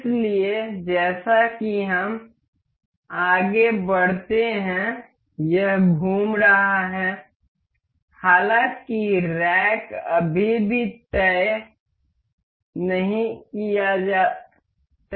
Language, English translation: Hindi, So, as we move this this is rotating; however, the rack is still to be fixed